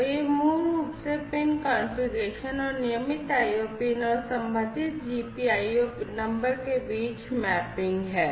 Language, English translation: Hindi, So, this is the basically the pin configuration and the mapping between the regular IO pins and the corresponding GPIO numbers, right